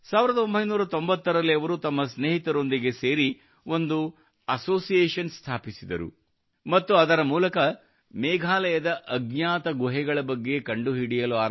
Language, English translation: Kannada, In 1990, he along with his friend established an association and through this he started to find out about the unknown caves of Meghalaya